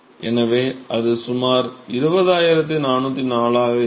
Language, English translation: Tamil, So, that will be about 20404